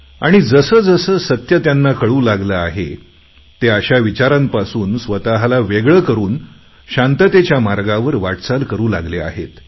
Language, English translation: Marathi, And as they understand the truth better, they are now separating themselves from such elements and have started moving on the path of peace